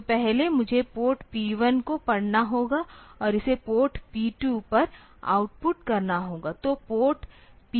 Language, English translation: Hindi, So, first I have to read port P 1 and out put it onto port P 2